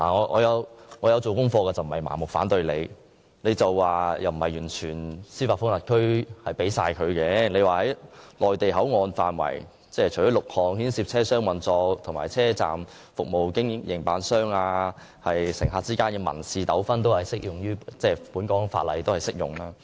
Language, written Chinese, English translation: Cantonese, 我也曾作出研究，並非盲目反對，據政府表示，港方並非完全將司法管轄權交出，所以在內地口岸範圍，有6種牽涉車廂運作、車站服務營辦及乘客之間民事糾紛的事項，香港法例仍然適用。, I have done some research and I am not opposing the proposal blindly . According to the Government Hong Kong will not surrender its jurisdiction completely and the laws of Hong Kong will still apply in the Mainland Port Area in six areas relating to compartment operation station services and civil disputes among passengers